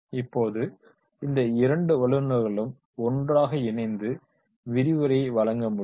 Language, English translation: Tamil, Now these two experts they can connect together and deliver the lecture